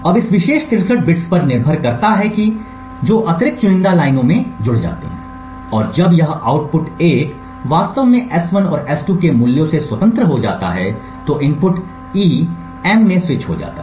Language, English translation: Hindi, Now depending on this particular 63 bits of additional select lines that gets added and when this output actually gets goes to 1 independent of the values of S1 and S2 the input E gets switched into M